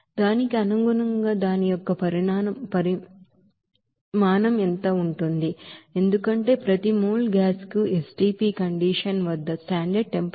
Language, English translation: Telugu, Accordingly what will be the volume of that because per mole of gas will give you that 22